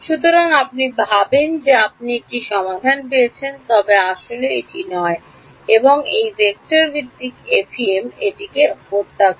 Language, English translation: Bengali, So, you think that you have got a solution, but it is actually not and this vector based FEM kills it